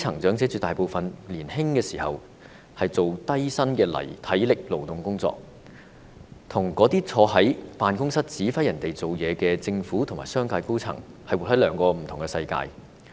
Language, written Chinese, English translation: Cantonese, 絕大部分基層長者年青時也從事低薪的體力勞動工作，他們跟那些坐在辦公室指揮別人工作的政府和商界高層是活在兩個不同的世界。, A great majority of the grass - roots elderly worked low - paid manual labour jobs when they were young . These elderly people and those holders of senior posts in the Government and the business sector who sit in offices giving instructions to others are living in two different worlds